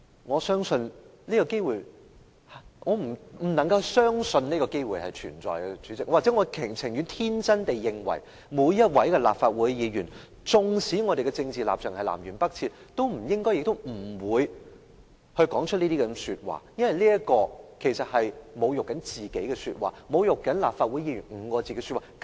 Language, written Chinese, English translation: Cantonese, 我不能相信有這個機會存在，又或許我寧願天真地認為每一位立法會議員，縱使政治立場南轅北轍，也不應亦不會說出這些說話，因為這其實是侮辱自己的說話，侮辱"立法會議員"這5個字的說話。, I cannot believe that such a chance really exists or I would rather have some naive expectations and think that all Legislative Council Members no matter how polarized their political stances are should not and will not make such remarks because this is self - insulting and a disgrace too to our identity as a Legislative Council Member